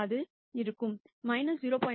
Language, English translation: Tamil, That will be minus 0